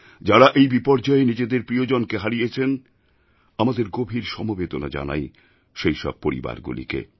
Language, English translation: Bengali, Our sympathies are with those families who lost their loved ones